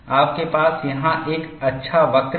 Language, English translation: Hindi, It is having a curvature